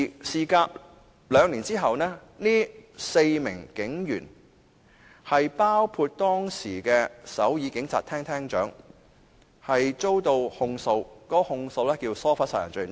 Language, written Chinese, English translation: Cantonese, 事隔兩年，涉事的4名警員，包括當時的首爾警察廳廳長，均遭起訴，被控以疏忽殺人罪。, Two years later the four police officers involved including the Head of Seoul Metropolitan Police Agency were all prosecuted for negligent homicide